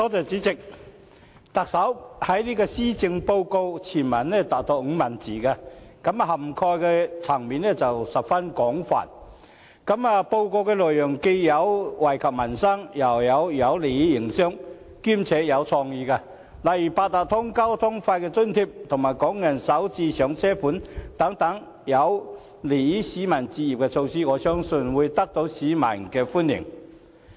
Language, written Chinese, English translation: Cantonese, 主席，特首的施政報告全文長達5萬字，涵蓋層面十分廣泛，內容既有惠及民生，又有有利營商，兼且有創意，例如八達通交通費的津貼及"港人首置上車盤"等有利市民置業的措施，我相信會得到市民歡迎。, President the Chief Executives Policy Address contains some 50 000 words in total covering a wide range of topics including benefits for the peoples livelihood business facilitation and creative measures such as the provision of transport fare subsidy via the Octopus system and the Starter Homes Scheme a scheme to facilitate home purchase . I believe the Policy Address will be welcomed by the people